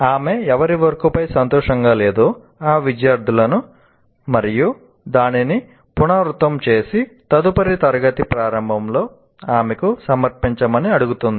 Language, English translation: Telugu, She asked the student whose work she was not happy with to redo it and submit to her at the start of the next class